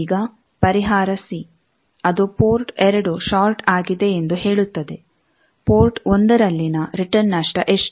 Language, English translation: Kannada, Now, solution c it says that port 2 is shorted, what is the return loss at port 1